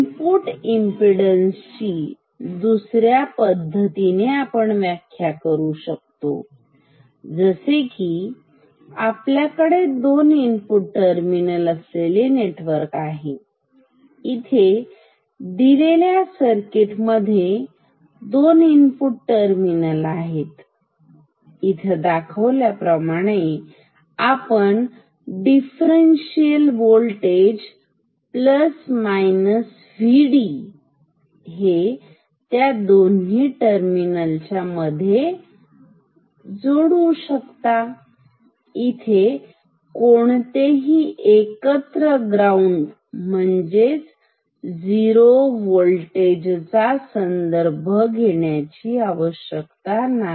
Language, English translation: Marathi, Another way we can define input impedance say, if we have a network with two input terminals, this is a circuit with two input terminals; we can apply a differential voltage like this V d plus minus connected like this, without any common ground ok